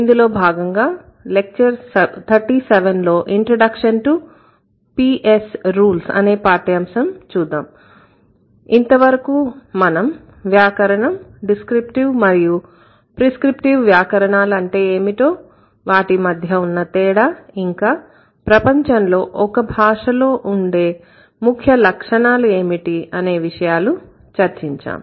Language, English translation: Telugu, We were talking about what is grammar, what is prescriptive grammar, what is prescriptive grammar, how they are different from each other and what is the core property of any given language in the world